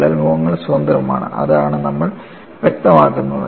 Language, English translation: Malayalam, The crack phases are free, that is all you specify